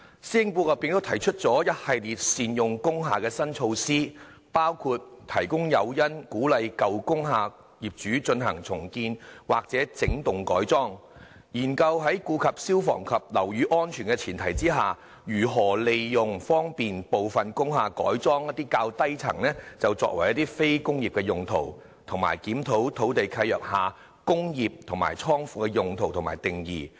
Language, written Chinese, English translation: Cantonese, 施政報告也提出一系列善用工廈的新措施，包括提供誘因，鼓勵舊工廈業主進行重建或整幢改裝；研究在顧及消防及樓宇安全的前提下，如何利用方便部分工廈改裝一些較低層作非工業用途；以及檢討土地契約下，"工業"和"倉庫"的用途和定義。, The Policy Address also puts forward a number of new measures to optimize the use of industrial buildings including the offer of incentives to encourage owners of old industrial buildings to undertake redevelopment or wholesale conversion; studies on facilitating the conversion of the lower floors of industrial buildings for non - industrial purposes subject to fire safety and building safety requirements; and a review of the definition and coverage of industrial and godown uses in land leases